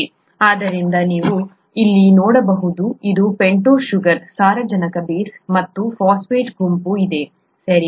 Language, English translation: Kannada, So you can see here this is the pentose sugar, the nitrogenous base and the phosphate group, okay